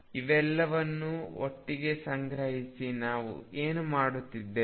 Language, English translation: Kannada, So, to collect all this together what have we done